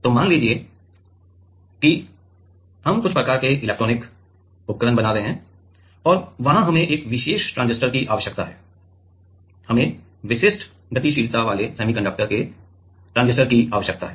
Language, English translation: Hindi, So, let us say we are making some kind of electronic devices and there we need for a particular transistor; we need specific mobility of the transistor of the semiconductor